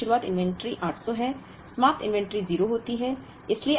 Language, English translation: Hindi, 4th month beginning inventory is 800, ending inventory is 0